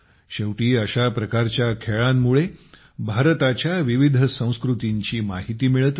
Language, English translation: Marathi, After all, through games like these, one comes to know about the diverse cultures of India